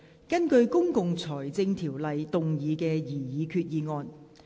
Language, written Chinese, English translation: Cantonese, 根據《公共財政條例》動議的擬議決議案。, Proposed resolution under the Public Finance Ordinance